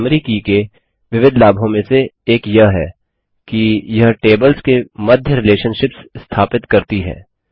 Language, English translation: Hindi, One of the various advantages of a primary key is that it helps to establish relationships between tables